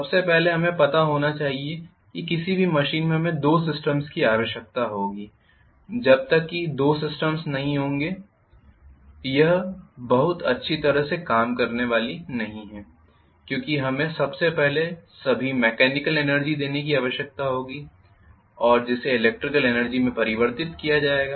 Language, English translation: Hindi, First of all, we should know that in any machine we will require two systems unless there are two systems it is not going to work very well, because we will require first of all mechanical energy to be given and that is going to be converted into electrical energy or vice versa